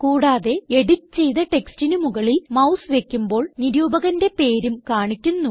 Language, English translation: Malayalam, Of course, hovering the mouse over the edited text will display the name of the reviewer